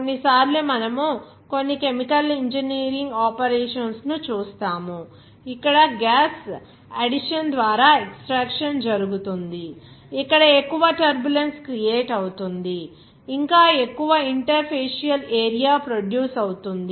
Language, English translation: Telugu, Sometimes we will see some chemical engineering operations, where extraction is being done by gas addition, where more turbulence will be created, even more, the interfacial area will be produced